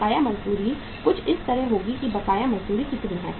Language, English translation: Hindi, Outstanding wages will be something like here how much is the outstanding wages